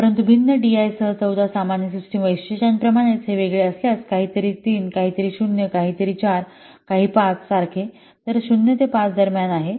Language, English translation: Marathi, But if it is different, like the 14 general system characteristics with different dies, like for something 3, something 0, something 4 and something 5, so it is ranging in between, it is ranking in between 0 to 5